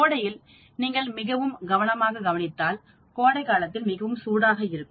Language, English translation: Tamil, If you look at it very carefully summer, summer time is very warm